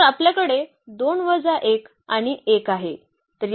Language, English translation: Marathi, So, we have 2 minus 1 and 1